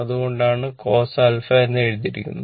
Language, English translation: Malayalam, That is why it is written cos alpha